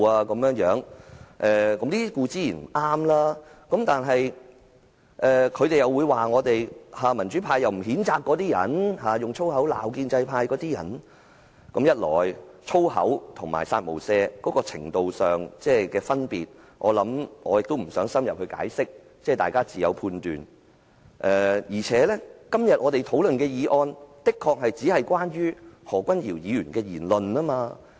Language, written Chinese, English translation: Cantonese, 以粗言穢語辱罵他人無疑是不對，但關於民主派並無譴責那些用粗話辱罵建制派的人的指責，我卻認為，一來粗話與"殺無赦"言論有程度上的分別，我不想深入解釋，大家自有判斷，二來我們今天討論的議案確實只關乎何君堯議員的言論。, Insulting others in abrasive foul languages is undoubtedly wrong but regarding the accusation that the democratic camp failed to condemn those who insulted the pro - establishment Members with abrasive foul languages yet I consider firstly that there is difference in the extent for foul languages and the remark of kill without mercy . I do not want to explain in detail as everyone should have his own judgment . Secondly the motion that we discuss today is concerned only with the remark of Dr Junius HO